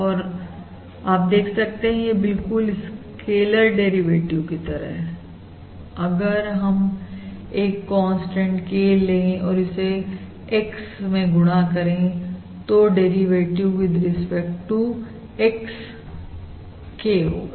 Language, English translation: Hindi, And you can see this as an analog to the scaler derivative, that is, we take a constant K, multiply it with X, then the derivative with respect to X is simply K